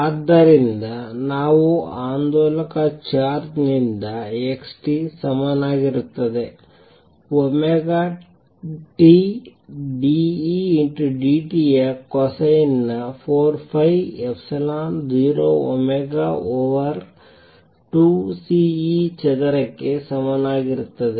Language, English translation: Kannada, So, we have from an oscillating charge x t equals A cosine of omega t d E d t is equal to 2 thirds e square over 4 pi epsilon 0 omega raise to 4 amplitude square over C cubed cosine square omega t